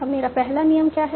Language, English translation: Hindi, Now, what is my first rule